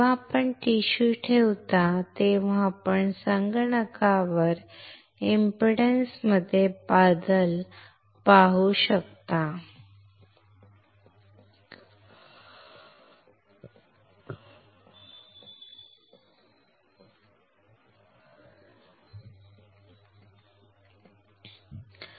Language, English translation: Marathi, We when you place the tissue you can see the change in impedance on the computer